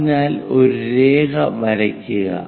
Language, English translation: Malayalam, So, draw a line